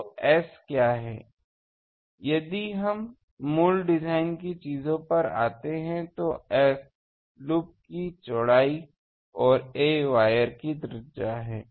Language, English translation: Hindi, So, what is S; if we come to the basic design things, S is the loops width and a is the radius of the wire